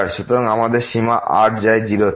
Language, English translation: Bengali, So, we have limit goes to 0